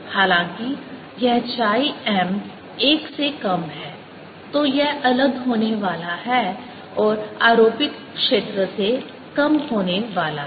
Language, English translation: Hindi, however, this chi m is less than one, then this is going to be different and going to be less than the applied field